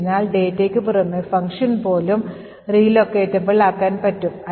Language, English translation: Malayalam, So, in addition to the data even the function should be made relocatable